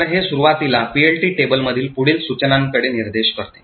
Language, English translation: Marathi, So, this initially points to the next instruction in the PLT table